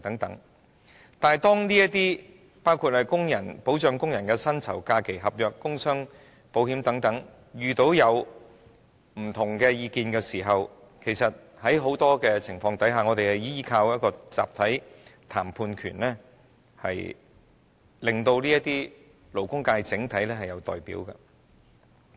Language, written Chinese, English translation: Cantonese, 但是，在保障工人薪酬、假期、合約及工傷保險等問題上出現意見分歧時，其實在很多情況下，我們也要依靠一個集體談判權，令整體勞工界有人代表。, However when differences arise over such issues as the protection of workers wages rest days contracts and employees compensation insurance in fact in many instances we have to rely on the right to collective bargaining so that there can be a representative for the whole labour sector